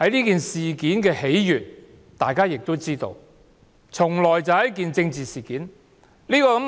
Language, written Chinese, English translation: Cantonese, 大家皆知道，此事是由一件政治事件所致。, As Members all know the whole thing stems from a political incident